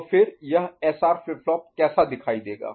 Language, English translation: Hindi, So, then how this clocked SR flip flop would look like